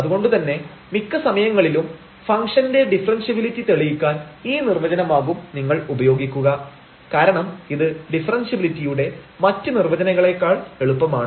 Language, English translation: Malayalam, So, we most of the time you will use this definition to prove the differentiability of the function, because this is easier then that the other definition of the differentiability